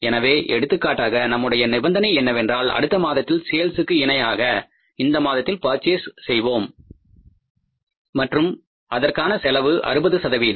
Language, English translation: Tamil, So, for example, our condition was that whatever we are purchasing we are purchasing equal to the next month sales and the cost was 60 percent